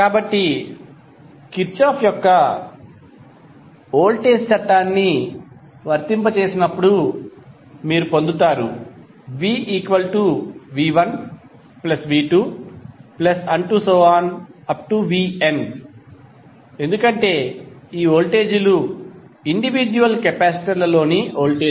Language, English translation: Telugu, So when apply Kirchhoff’s Voltage law, you get V is nothing but V1 plus V2 and so on upto Vn because these voltages are the voltage across the individual capacitors